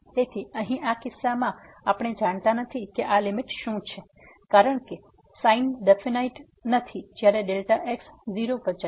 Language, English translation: Gujarati, So, in this case here we do not know what is this limit because the sin is not definite when this delta goes to 0